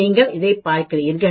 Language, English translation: Tamil, You see this, you see this